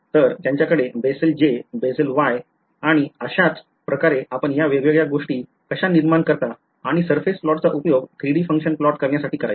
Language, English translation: Marathi, So, they have Bessel J, Bessel Y and so on that is how you generate this different things and the surface plot is what you will used to plot this 3 D function ok